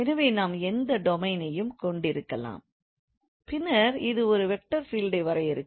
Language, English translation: Tamil, So we can have any domain and then this will actually be defining a vector field